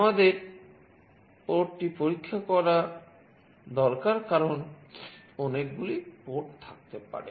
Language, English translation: Bengali, We need to check the port as there can be many ports